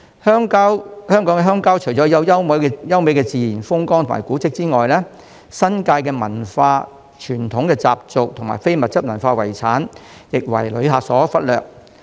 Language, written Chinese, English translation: Cantonese, 香港的鄉郊除了有優美的自然風光和古蹟外，亦有新界文化、傳統習俗及非物質文化遺產，但這些都為旅客所忽略。, Picturesque natural landscape and historic monuments aside Hong Kongs rural areas also have the New Territories culture traditional customs and intangible cultural heritage ICH to offer but these have simply been overlooked by tourists